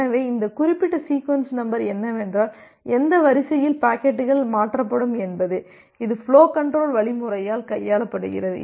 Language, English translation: Tamil, So this particular thing the sequence number is that at what sequence the packets will be transferred, that is handled by the flow control algorithm